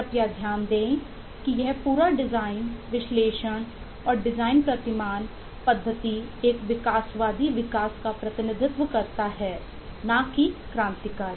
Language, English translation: Hindi, please note that this whole design, analysis and design paradigm, eh methodology has been a eh or represents an evolutionary development and not a revolutionary one